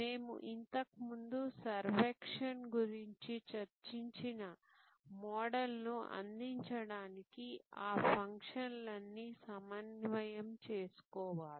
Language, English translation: Telugu, All those functions have to be well coordinated to deliver the model that we had earlier discussed servuction